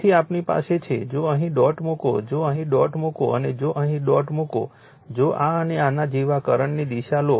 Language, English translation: Gujarati, So, we have the, if you put a dot here, if you put a dot here, and if you put a dot here, right if you take the direction of the current like this and these